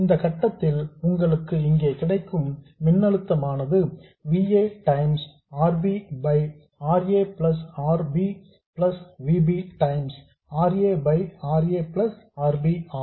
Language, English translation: Tamil, You will easily see that the voltage that you get here at this point would be VA times RB by RA plus RB plus VB times RA by RA plus RB